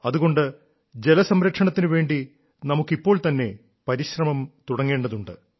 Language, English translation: Malayalam, Hence, for the conservation of water, we should begin efforts right away